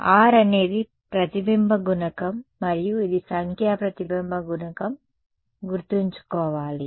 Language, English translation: Telugu, So, R is the reflection coefficient and this is remember the numerical reflection coefficient right